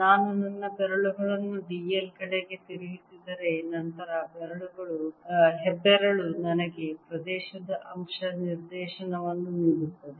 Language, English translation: Kannada, if i turn my fingers towards the l, then thumbs gives me the area element direction